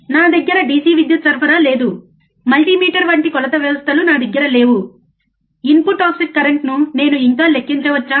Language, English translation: Telugu, I do not have the DC power supply, I I do not have the measurement systems like multimeter, can I still calculate the input offset current